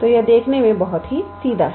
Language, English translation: Hindi, So, this is very straightforward to see